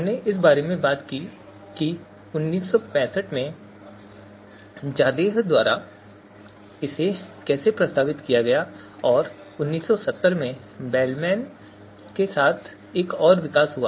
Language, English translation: Hindi, So we talked about that how you know it has been proposed by Zadeh in sixty five and then another development along with Bellman in seventy